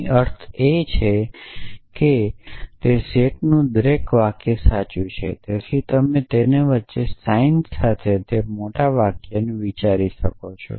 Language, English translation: Gujarati, What we mean is that every sentence in that set is true, so you can think of it either bigger sentence with the sign in between their essentially